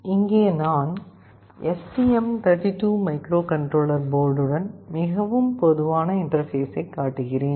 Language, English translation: Tamil, Here I am showing a very typical interface with the STM32 microcontroller board